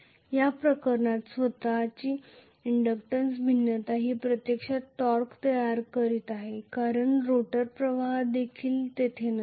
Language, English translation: Marathi, In this case the self inductance variation is the one which is actually creating the torque because the rotor current is not even there